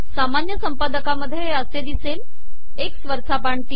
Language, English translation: Marathi, In normal editors it will appear like this, X up arrow 3